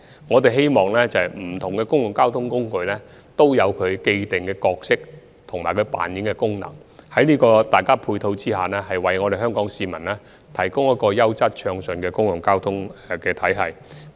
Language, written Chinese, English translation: Cantonese, 我們希望不同的交通工具都有既定的角色及功能，在各方面的配套下，為香港市民提供一個優質、暢順的公共交通系統。, It is our hope that different means of transport can have different specific roles and functions and they can together with various ancillary facilities provide Hong Kong people with a quality and smoothly operated public transport system